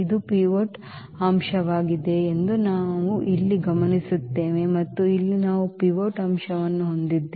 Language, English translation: Kannada, And now, we observe here that this is the pivot element and here also we have the pivot element